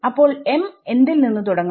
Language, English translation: Malayalam, So, what should m start from